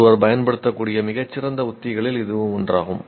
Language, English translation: Tamil, That is, that is one of the very good strategies that one can use